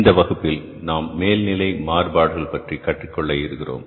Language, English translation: Tamil, So, in this class, we will learn about the overhead variances